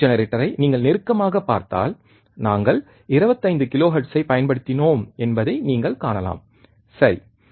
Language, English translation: Tamil, If you closely see as a frequency generator, you can see that we have applied 25 kilohertz, right